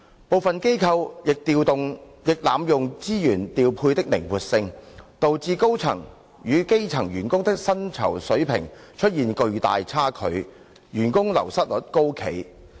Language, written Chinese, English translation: Cantonese, 部分機構亦濫用資源調配的靈活性，導致高層與基層員工的薪酬水平出現巨大差距，員工流失率高企。, Some NGOs had also abused the flexibility in resource deployment resulting in a great disparity in the pay levels between staff at the top and bottom tiers and high staff turnover